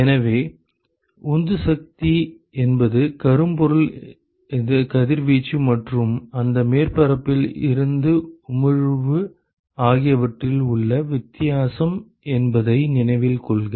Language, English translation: Tamil, So, note that the driving force is the difference in the black body radiation and the emission from that surface